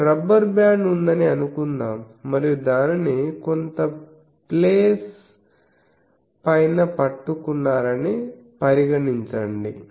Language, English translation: Telugu, Consider that you have a rubber band and you are holding it above some place